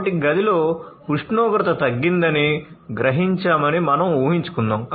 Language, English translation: Telugu, So, let us say that it has been sensed that the temperature has gone down in the room